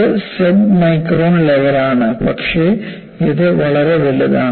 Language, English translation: Malayalam, So, this is submicron level, but this is highly magnified